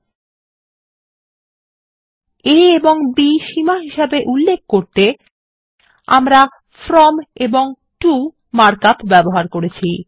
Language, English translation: Bengali, To specify the limits a and b, we have used the mark up from and to